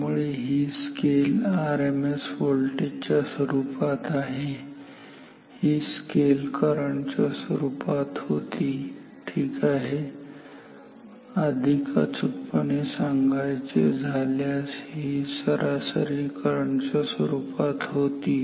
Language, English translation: Marathi, So, this scale is in terms of RMS voltage this scale was in terms of current ok; to be more accurate this was in terms of the average current ok